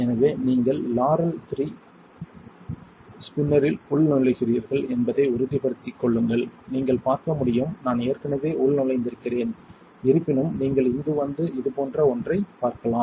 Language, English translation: Tamil, So, make sure you are logging into the Laurell 3 spinner, as you can see I am already logged in however if you come here and you see something like this